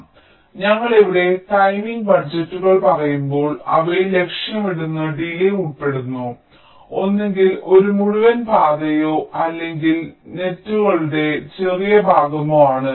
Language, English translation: Malayalam, so when we say timing budgets here they include target delays along, i means either an entire path or along shorter segment of the paths, which are the nets